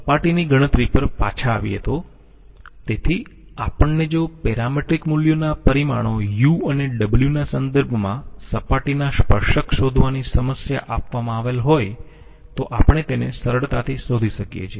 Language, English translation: Gujarati, Coming back to the surface calculation, so we if we are given the problem of finding out the tangents to the surface with respect to the parametric values parameters U and W, we can easily find it out